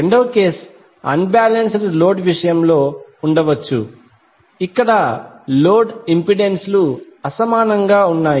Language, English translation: Telugu, Second case might be the case of unbalanced load where the load impedances are unequal